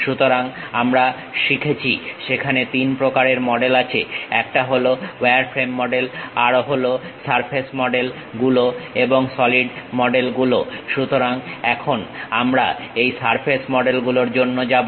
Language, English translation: Bengali, So, we learned about there are three varieties: one wireframe model, surface models and solid models; so, now, we are going for this surface models